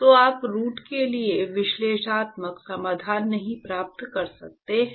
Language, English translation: Hindi, So, you cannot get analytical solutions for the root